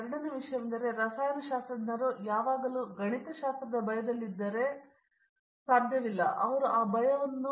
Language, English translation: Kannada, Second thing is if the chemists are always afraid of mathematics, now today mathematics is only, even today or everything mathematics is only a language for non mathematicians